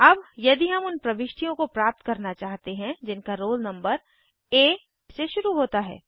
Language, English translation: Hindi, Now if we want get those entries whose roll numbers start with A